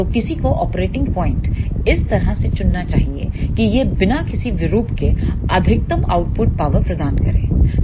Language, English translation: Hindi, So, one should choose the operating point in such a way that it should provide the maximum output power without any distortion